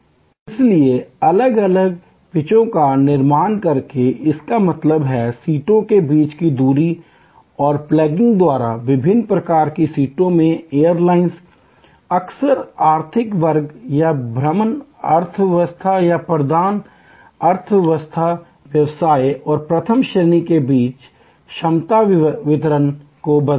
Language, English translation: Hindi, So, by creating different pitches; that means, the distance between seats and by plugging in different kinds of seats, airlines often vary the capacity distribution among economic loss or excursion economy, prime economy business and first